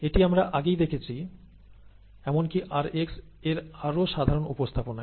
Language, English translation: Bengali, This we have already seen earlier, where even in a more generic representation of rx